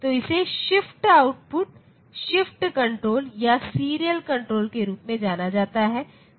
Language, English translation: Hindi, So, this is known as the shift output, a shift control or serial control